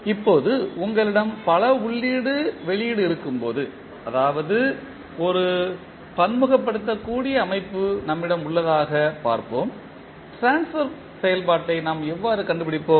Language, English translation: Tamil, Now, let us see when you have the multiple input, output that means we have a multivariable system, how we will find out the transfer function